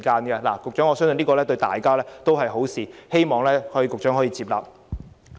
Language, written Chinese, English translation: Cantonese, 局長，我相信這樣做對大家也是好事，希望局長接納。, Secretary for Transport and Housing I believe this will be a good thing for all of us . I hope the Secretary will agree with me